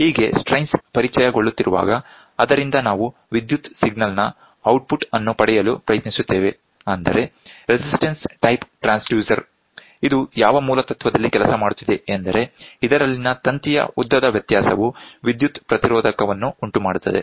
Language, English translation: Kannada, Thus, when the strains are getting introduced from that we try to get the electrical signal output so, that is what we say the basic principle of which is a resistance type pressure transducer working in which a variation in the length of the wire causes a change in the electrical resistance, variation means change other